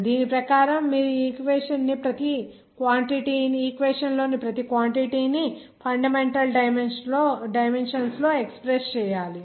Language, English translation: Telugu, Accordingly, you have to express this after that you have to express each of the quantities in the equation in fundamental dimensions